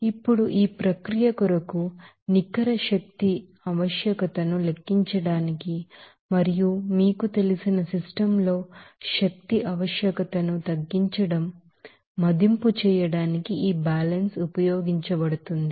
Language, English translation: Telugu, Now, this balance is used to calculate that Net energy requirement for the process and assess of reducing energy requirement in a particular you know system